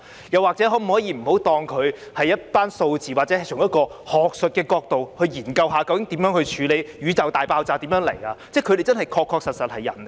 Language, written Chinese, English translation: Cantonese, 又或者，可否不要把他們當成一些數字，或者好像是從學術的角度來研究宇宙大爆炸究竟是怎麼發生？, Or could you not treat them as some figures or in a way just like you are studying how the Big Bang took place from an academic perspective?